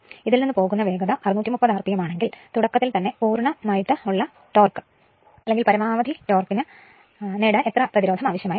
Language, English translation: Malayalam, If its stalling speed is 630 rpm, how much resistance must be included per to obtain maximum torque at starting